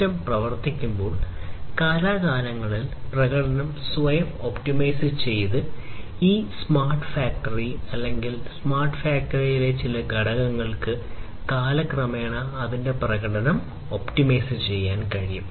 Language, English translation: Malayalam, Self optimizing the performance over time when the system is performing, this smart factory or some component of it in a smart factory is able to optimize its performance over time